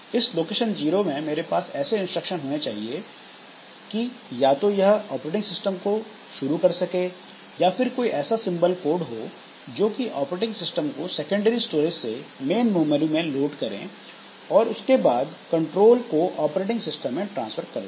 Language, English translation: Hindi, So, from location zero, I should have instructions such that either it is the beginning of the operating system or it is a simple code that loads the operating system from the secondary storage into the main memory and then transfers control to the operating system